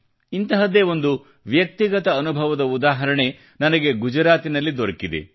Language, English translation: Kannada, I also have had one such personal experience in Gujarat